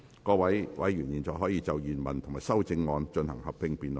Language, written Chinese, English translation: Cantonese, 各位委員現在可以就原條文及修正案進行合併辯論。, Members may now proceed to a joint debate on the original clause and the amendments